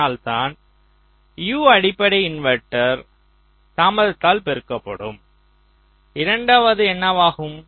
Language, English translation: Tamil, thats why this would be u multiplied by basic inverter delay